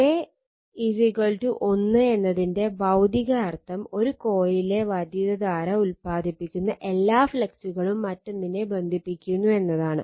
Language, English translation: Malayalam, Physical meaning of K 1 is that, all the flux produced by the current in one of the coil links the other right